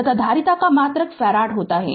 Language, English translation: Hindi, And the unit of the capacitance is farad right